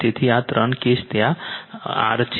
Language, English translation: Gujarati, So, these three cases is R there right